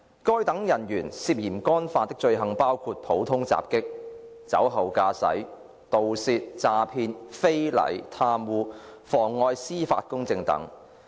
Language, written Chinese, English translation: Cantonese, 該等人員涉嫌干犯的罪行包括普通襲擊、酒後駕駛、盜竊、詐騙、非禮、貪污、妨礙司法公正等。, The offences allegedly committed by such officers included common assaults drink driving thefts fraud indecent assaults corruption and perverting the course of justice